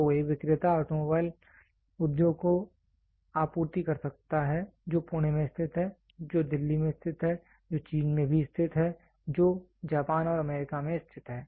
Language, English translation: Hindi, So, a vendor can supply to automobile industry which is located in Pune, which is located in Delhi, which is also located in China, which is located in Japan and US